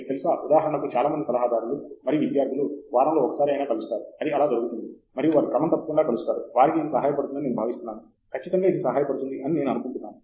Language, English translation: Telugu, You know, for instance, most advisors and students meet once a week right, that happens, and they meet regularly, I think that helps, it helps